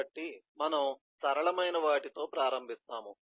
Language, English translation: Telugu, so we start with the simple one